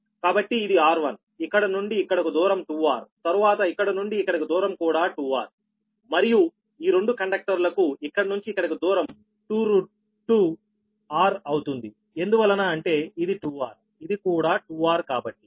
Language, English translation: Telugu, then distance from here to here, this conductor is also two r, and distance from here to here, these two conductors, it will be two root, two r, because this is two r, this is two r